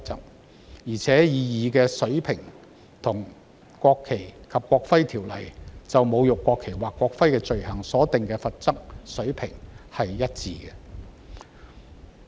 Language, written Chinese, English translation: Cantonese, 此外，《條例草案》所訂的罰則水平，與《國旗及國徽條例》就侮辱國旗或國徽的罪行所訂的罰則水平一致。, In addition the level of penalty provided under the Bill is the same as that for the offence of desecrating the national flag or national emblem under the National Flag and National Emblem Ordinance